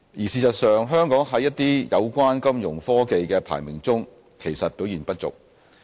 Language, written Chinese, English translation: Cantonese, 事實上，香港在一些有關金融科技的排名中其實表現不俗。, In fact Hong Kong has performed reasonably well in a number of ranking studies concerning Fintech